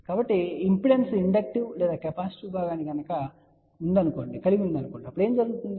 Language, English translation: Telugu, So, what happens if the impedance has inductive or capacitive part